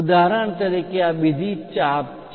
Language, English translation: Gujarati, For example, this is another arc